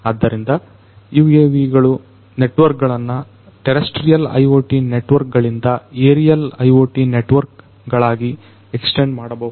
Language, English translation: Kannada, So, UAVs can extend the networks the terrestrial IoT networks to the aerial IoT networks